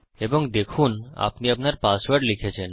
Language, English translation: Bengali, and see you have typed your password